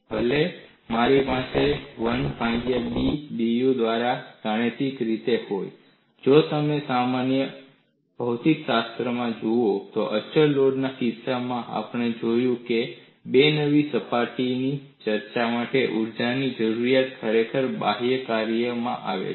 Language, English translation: Gujarati, Though I have 1 by B dU by da mathematically, if you look at from physics of the problem, in the case of a constant load, we would see the energy requirement for the formation of two new crack surfaces has actually come from the external work